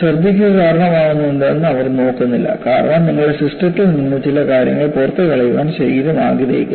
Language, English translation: Malayalam, They do not look at what causes vomiting, because the body wants to throw certain stuff from your system